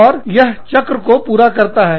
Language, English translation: Hindi, And, that completes the loop